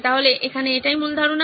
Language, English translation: Bengali, So that is the basic assumption here